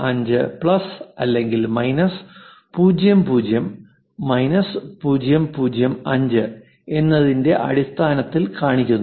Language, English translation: Malayalam, 5 plus or minus 00 minus 005